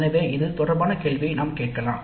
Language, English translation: Tamil, So we can ask a question related to that